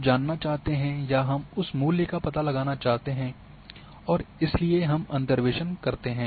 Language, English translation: Hindi, We want know or we want to predict that value and therefore we go for interpolation